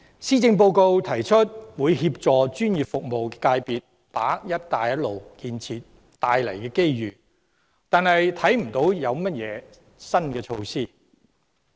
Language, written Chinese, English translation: Cantonese, 施政報告提出會協助專業服務界別把握"一帶一路"建設帶來的機遇，但我卻看不到有任何新措施。, The Policy Address proposes to assist the professional service sector to seize the opportunities brought about by the Belt and Road Initiative but I cannot see any new measures